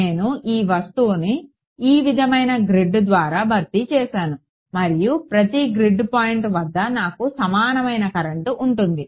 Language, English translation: Telugu, I have replace this object by grade of this sort, and at each grid point I have an equivalent current